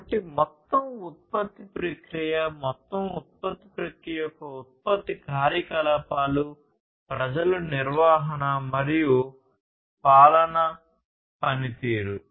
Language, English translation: Telugu, So, overall production process basically, production operations of the overall production process, people management and performance governance